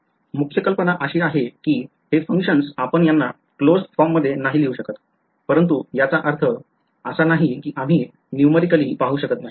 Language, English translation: Marathi, The main idea is that these functions are not you cannot write them in closed form ok, but that does not mean we cannot numerically see what it looks like